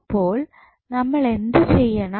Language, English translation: Malayalam, So, how we will do